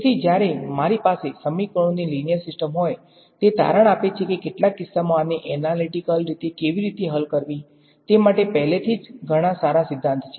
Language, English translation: Gujarati, So, when I have linear system of equations; it turns out there is a lot of good theory already built up for how to solve these analytically in some cases